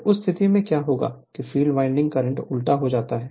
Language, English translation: Hindi, So, in that case what will happen as your, that your field winding current is reversed